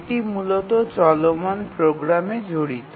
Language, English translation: Bengali, It basically involves running program